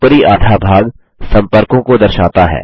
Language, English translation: Hindi, The top half displays the contacts